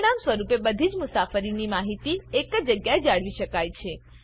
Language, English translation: Gujarati, As a result all travel information can be maintained in one place